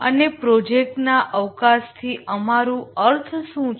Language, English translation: Gujarati, And what do we mean by project scope